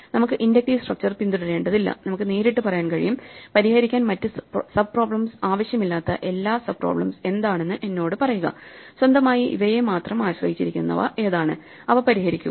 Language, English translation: Malayalam, We do not have to follow the inductive structure, we can directly say ok, tell me which are all the sub problems which do not need anything solve them, which are all the ones which depend only on these solve them and so on